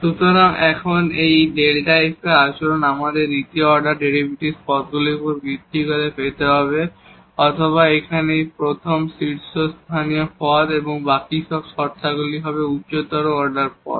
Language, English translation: Bengali, So, now, the behavior of this delta f, we have to get based on these second order derivatives terms or the first this leading term here, the rest all the terms in the expansion will be higher order terms